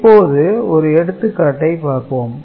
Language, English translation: Tamil, And, we look at one example here